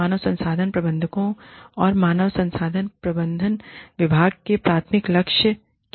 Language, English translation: Hindi, What are the primary goals of human resource managers, and the department of human resource management, as a whole